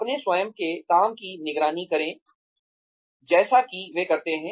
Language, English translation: Hindi, Monitor their own work, as they do it